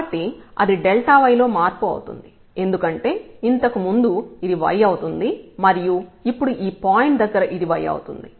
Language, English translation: Telugu, So, that is a change in delta y because earlier the y was this one and now the y has become this one here at this point